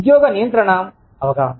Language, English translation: Telugu, Perceived job control